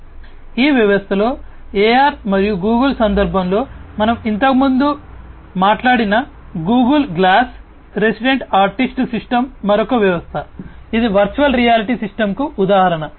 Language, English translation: Telugu, So, the Google glass we have talked about earlier in the context of AR and Google’s in this system the resident artist system is another system which is an example of the virtual reality system